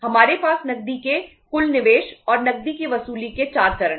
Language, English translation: Hindi, We have the 4 stages of say total investment of cash and recovery of the cash